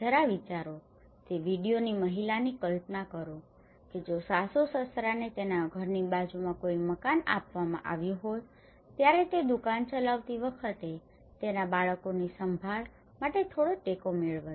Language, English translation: Gujarati, Just imagine, of the lady in that video imagine if her in laws was given a house next to her house she would have got little support to look after her kids when she was running the shop